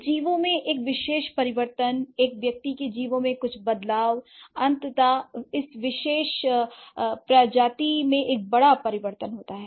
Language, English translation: Hindi, So, one particular change in some organism, an individual, some change is an individual organism eventually results in a bigger change in that particular species, right